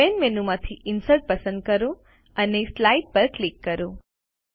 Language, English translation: Gujarati, From Main menu, select Insert and click on Slide